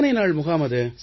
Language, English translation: Tamil, How long was that camp